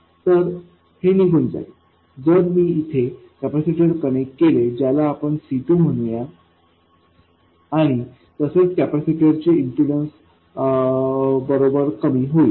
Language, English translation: Marathi, So, this will go away if I connect a capacitor here and also let me call this C2 and also the impedance of the capacitor drops with frequency